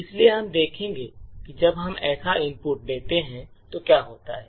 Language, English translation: Hindi, So, we will see what happens when we give such an input